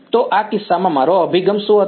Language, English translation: Gujarati, So, what was my approach in this case